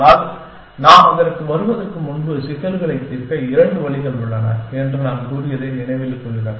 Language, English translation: Tamil, But, before we come to that, so remember that we had said that, there are two ways of solving problems